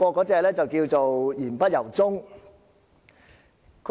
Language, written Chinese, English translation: Cantonese, 這就叫作"賊喊捉賊"。, This is called a thief crying stop thief